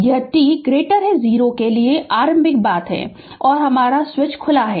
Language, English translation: Hindi, This is the initial thing right for t greater than 0 the switch is open right